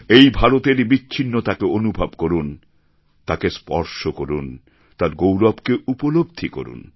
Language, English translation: Bengali, We should feel India's diversity, touch it, feel its fragrance